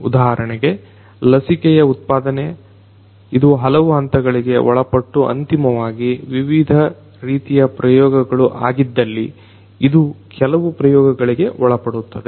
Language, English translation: Kannada, For example, production of a vaccine, you know it goes through different different steps right so and finally, it goes through certain trials if different sorts of trials happen